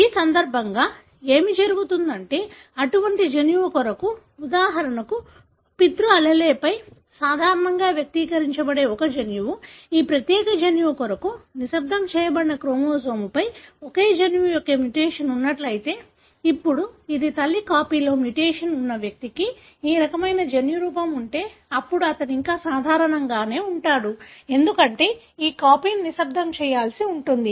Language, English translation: Telugu, So, what would happen in this case is that, for such gene, for example a gene that is normally expressed on the paternal allele, if the mutation for the same gene is present on the chromosome which gets silenced for this particular gene, now this, if an individual having this kind of a genotype where the mutation is present on the maternal copy, then he would still be normal, because anyway this copy is supposed to be silenced